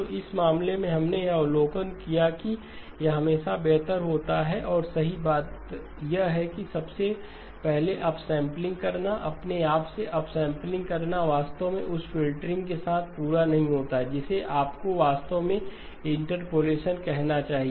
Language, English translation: Hindi, So in this case we also made the observation that it is always better and the right thing to do is to perform the upsampling first, upsampling by itself is not complete actually with the filtering you should actually call it interpolation